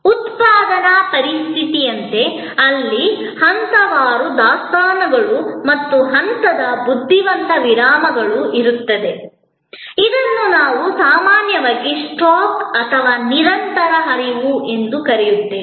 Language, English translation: Kannada, Like in a manufacturing situation, where there are, there can be stage wise inventories and stage wise pauses, what we often call stock and flow, here it is a continuous flow